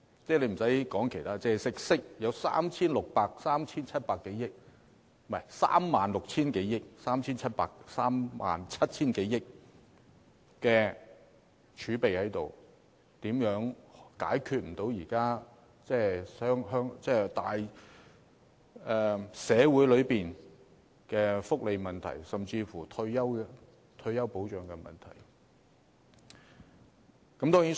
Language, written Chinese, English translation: Cantonese, 撇開其他方面不談，我們有 36,000 億元、37,000 多億元的儲備，又怎會解決不了現時的社會福利問題，甚至退休保障問題呢？, Leaving aside other aspects with a reserve totalling some 3,600 billion or 3,700 billion how will we not be able to address the existing social welfare issues or even universal retirement protection?